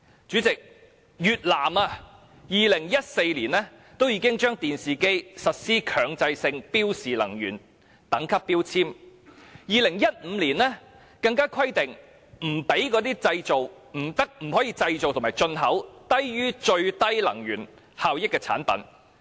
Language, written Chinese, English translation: Cantonese, 主席，越南已於2014年對電視機實施強制性標示能源等級標籤，到了2015年更規定不可以製造及進口低於最低能源效益的產品。, President Vietnam mandatorily required the display of energy labels on TVs in 2014 and in 2015 it prohibited the production and import of products that did not meet the lowest energy efficiency